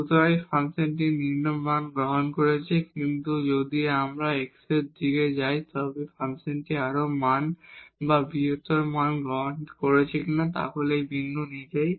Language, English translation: Bengali, So, here the function is taking lower values, but if we take in go in the direction of x then the function is taking the more values or the larger values then this point itself